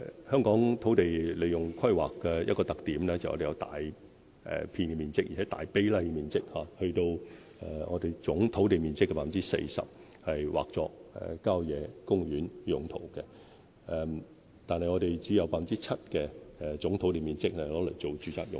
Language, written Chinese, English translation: Cantonese, 香港土地規劃的一個特點，就是把大片土地面積、大比例的土地面積劃作郊野公園用途，而我們只有 7% 總土地面積用作住宅用途。, As one characteristic of Hong Kongs land planning a large area of land a high proportion of land area has been designated as country parks . Meanwhile only 7 % of our total land area has been designated for residential use